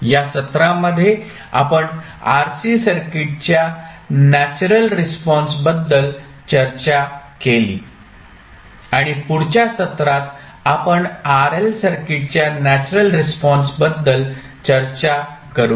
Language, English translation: Marathi, So with this we close our today’s session, in this session we discuss about the natural response of RC circuit and in next session we will discuss about the natural response of RL circuit